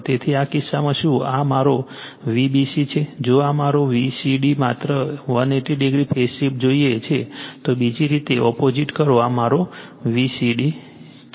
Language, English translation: Gujarati, So, in this case you are this is my V b c if I want V c b just 180 degree phase shift just make other way opposite way this is my V c b right